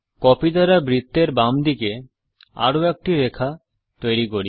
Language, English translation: Bengali, Let us draw another line, to the left of the circle by copying